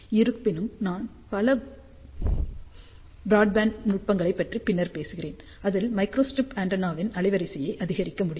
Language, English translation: Tamil, However, later on I will talk about several broadband techniques, where we can increase the bandwidth of the microstrip antenna